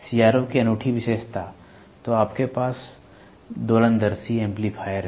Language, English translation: Hindi, Unique feature of a CRO; so, you have oscilloscope amplifiers